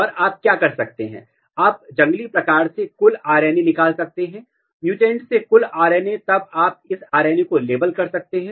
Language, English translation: Hindi, And what you can do, you can extract total RNA from the wild type, total RNA from the mutants then you label this RNA